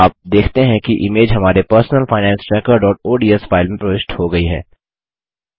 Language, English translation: Hindi, You see that the image gets inserted into our Personal Finance Tracker.ods file